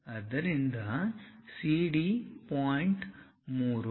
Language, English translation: Kannada, So, CD the point is 3